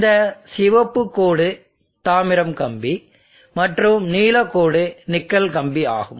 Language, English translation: Tamil, So let us say nickel and copper we use, this red line is the copper wire, blue line is the nickel wire